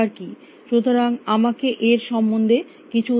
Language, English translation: Bengali, So, let me give you some idea about this